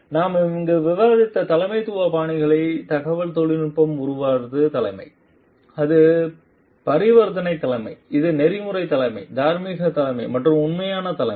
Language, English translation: Tamil, So, the leadership styles that we have discussed over here be it transformational leadership, be it transactional leadership, be it ethical leadership, moral leadership or authentic leadership